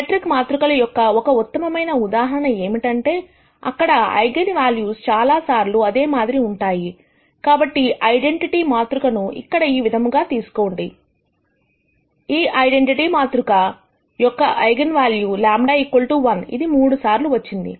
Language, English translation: Telugu, One classic example of a symmetric matrix, where eigenvalues are repeated many times, so take identity matrix, something like this here, this identity matrix has eigenvalue lambda equal to 1, which is repeated thrice